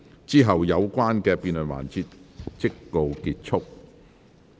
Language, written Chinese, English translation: Cantonese, 之後有關的辯論環節即告結束。, Then the debate session will come to a close